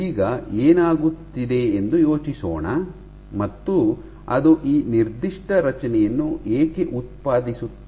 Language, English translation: Kannada, So now, let us think as to what is happening, why does it generate this particular structure